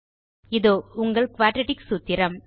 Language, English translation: Tamil, And there is the quadratic formula